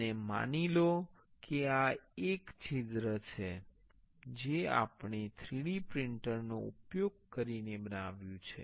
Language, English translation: Gujarati, And this is supposed this is the hole we made using a 3D printer